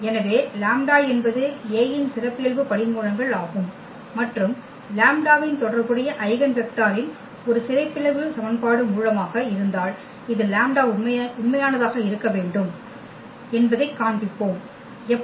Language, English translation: Tamil, So, if lambda be a characteristic root of A and lambda the corresponding eigenvector and then we will show that this lambda has to be real, how